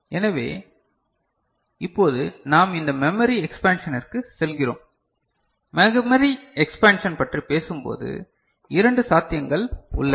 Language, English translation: Tamil, So, we now move to this memory expansion and when we talk about memory expansion there are two possibilities